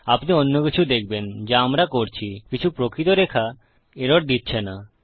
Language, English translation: Bengali, Youll see some of the other ones we will be doing, some dont return the actual line error